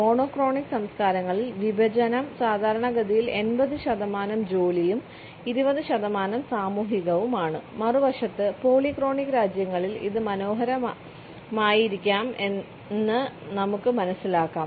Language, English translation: Malayalam, In monochronic cultures we find that the division is typically 80 percent task and 20 percent social, on the other hand in polychronic countries we find that it may be rather cute